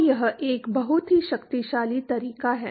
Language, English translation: Hindi, So, that is a very very powerful method